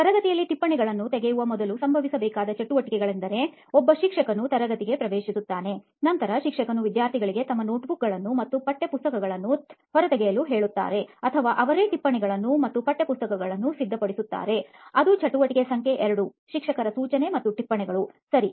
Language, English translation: Kannada, Some of the activities that happened before this actual process of taking notes in class is that a teacher would enter the class that would be something that happens before; Then teacher would either ask the students to take out their notebooks and textbooks or they themselves would have the notes and texts ready; that would be activity number 2, teacher instruction and notes, right